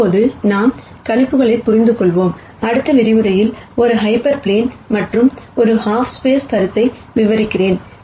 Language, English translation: Tamil, Now that we have understood projections, in the next lecture I will describe the notion of an hyper plane and half spaces